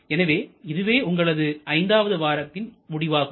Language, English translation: Tamil, So, this is the end of our week number 5